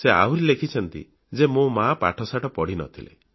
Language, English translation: Odia, He further writes, "My mother was not educated